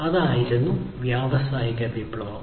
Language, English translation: Malayalam, So, that was the industrial revolution